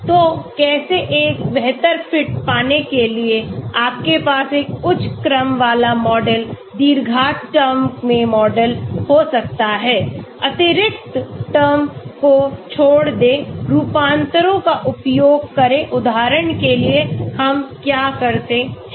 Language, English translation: Hindi, So how to get a better fit, you can have a higher order model, quadratic terms in the model, drop superfluous terms, use transforms for example what do we do